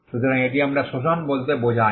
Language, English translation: Bengali, So, this is what we mean by exploitation